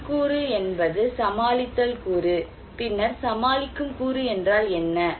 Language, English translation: Tamil, Internal component is the coping component,, and then what is the coping component